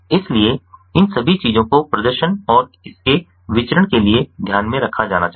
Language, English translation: Hindi, so all of these things have to be taken into consideration in order to perform, and its a variance